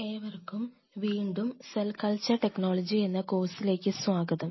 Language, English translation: Malayalam, Welcome come back to the Cell Culture Technology